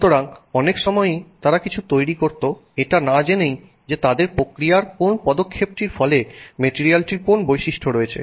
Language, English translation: Bengali, So, many times they would make something and not really know which step in their process was resulting in which property of that material